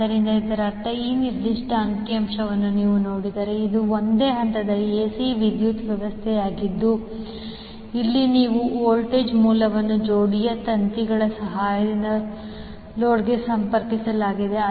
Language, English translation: Kannada, So, that means, if you see this particular figure, this is a single phase AC power system where you have voltage source connected to the load with the help of the pair of wires